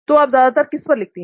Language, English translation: Hindi, Where all do you write those mostly